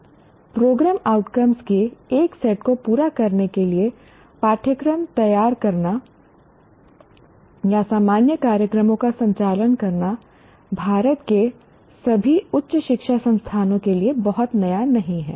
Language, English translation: Hindi, Designing Kalkula or conducting general programs to meet a set of program outcomes is very new, not relatively very new to all higher education institutions of India